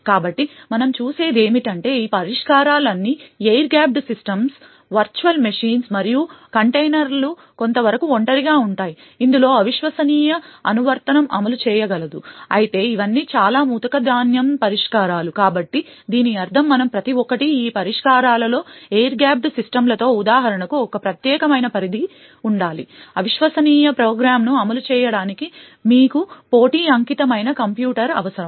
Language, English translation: Telugu, So what we see is that all of these solutions the air gapped systems, Virtual Machines and containers would provide some degree of isolation in which untrusted application can execute however all of these are very coarse grain solutions, so what we mean by this is that each of this solutions would require a dedicated entity to be present for example with air gap systems, you would require a compete dedicated computer just to run the untrusted program